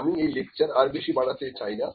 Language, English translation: Bengali, I will not like to lengthen this lecture a lot